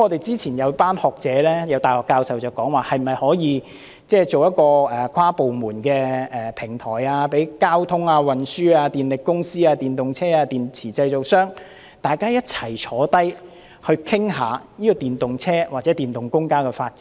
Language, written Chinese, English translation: Cantonese, 早前，有一班學者、大學教授提議可以成立一個跨部門的平台，讓交通運輸、電力公司、電動車及電池製造商，大家一同討論電動車及電動公共交通工具的發展。, Earlier a group of scholars and university professors suggested that an inter - departmental platform should be set up to facilitate discussions over the development of electric vehicles and electric public transport among the transport sector the power companies the manufacturers of electric vehicles and the battery manufacturers